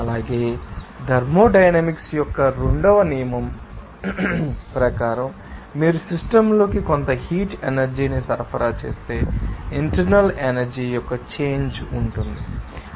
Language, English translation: Telugu, Also, according to that second law of thermodynamics, you can see that there will be a change of internal energy, if you supply some heat energy into the system